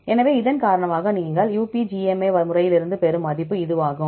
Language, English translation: Tamil, So, because of that this is the value you get from the UPGMA method